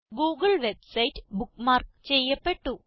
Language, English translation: Malayalam, The google website is bookmarked